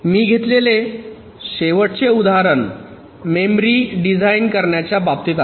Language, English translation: Marathi, ok, the last example that i take here is with respect to designing memory